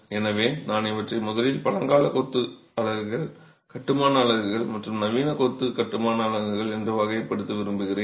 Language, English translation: Tamil, So I would rather classify these as ancient masonry units, construction units, and modern masonry construction units in the first place